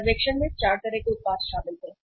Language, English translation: Hindi, The survey included 4 kind of the products